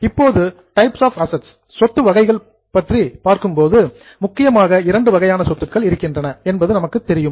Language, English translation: Tamil, Now, coming to the types of assets, as we know there are major two types of assets